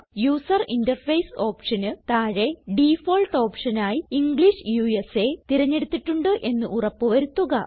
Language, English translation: Malayalam, Under the option User interface,make sure that the default option is set as English USA